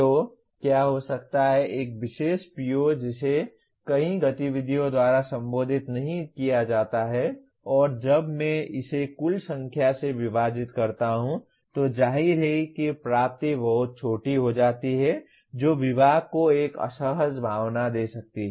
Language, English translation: Hindi, So what may happen, a particular PO that is not addressed by many activities and when I divide it by the total number, so obviously that attainment becomes much smaller which may give an uncomfortable feeling to the department